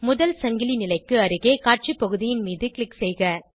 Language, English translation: Tamil, Click on the Display area near the first chain position